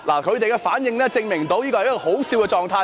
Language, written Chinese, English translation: Cantonese, 他們的反應證明這是可笑的狀態。, Their reactions proved that it is a laughable condition